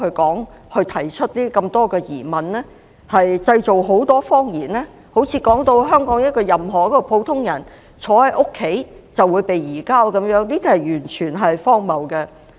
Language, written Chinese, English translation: Cantonese, 按照他們的說法，好像香港任何一個普通人坐在家裏就會被移交一樣，這完全是荒謬的。, According to them any ordinary person in Hong Kong will be surrendered sitting at home which is utterly absurd